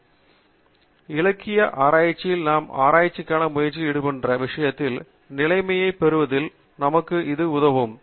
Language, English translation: Tamil, And, literature survey should help us in getting that status quo of the subject we are a trying to do research on